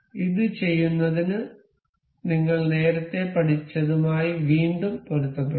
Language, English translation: Malayalam, To do this we will coincide it again that we have learned earlier